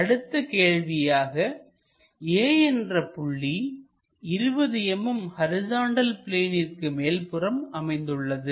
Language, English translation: Tamil, Let us ask a question there is a point A which is 20 millimetres above horizontal plane